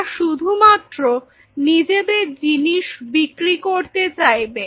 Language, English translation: Bengali, They just wanted to push their stuff